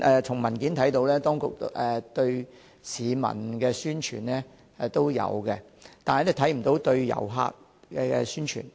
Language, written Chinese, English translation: Cantonese, 從文件得知，當局有針對市民進行宣傳，但卻沒有針對旅客宣傳。, According to the paper while there are promotions targeting at members of the public there is none for tourists